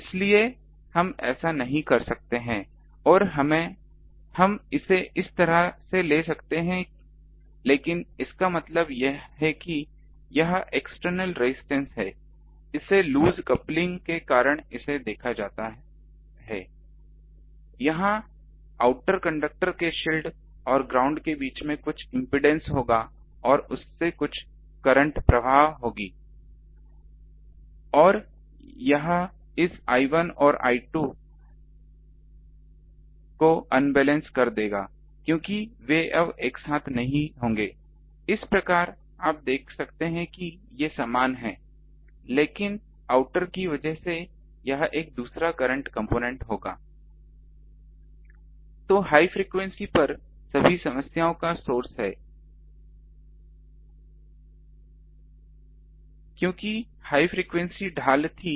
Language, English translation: Hindi, That's why we cannot do that and we do it like this, but this means the whole thing that there is an extra impedance seen because of this loose coupling there will be some impedance between this shield shield of the outer conductor and the ground and some current will flow through that; that will make this I 1 and I 2 unbalanced because they won't be now together you see thus these are same, but this there will be another current component I out through this outer one